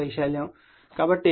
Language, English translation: Telugu, So, B is giveN1